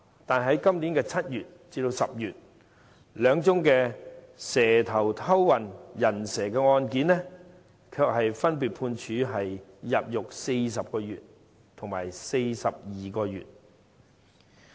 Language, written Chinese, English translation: Cantonese, 但是，在今年7月至10月，兩宗"蛇頭"偷運"人蛇"的案件，卻分別判處入獄40個月及42個月。, Nevertheless from July to October this year two snakeheads who have smuggled illegal entrants into Hong Kong were sentenced to a prison term of 40 months and 42 months respectively